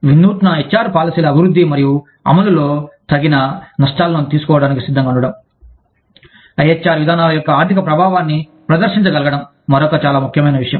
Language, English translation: Telugu, Being willing to take appropriate risks, in development and implementation of, innovative HR policies Being able to demonstrate, the financial impact of IHR policies, is another very important thing